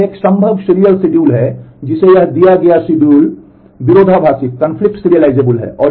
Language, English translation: Hindi, So, this is one possible serial schedule to which this given schedule is conflict serializable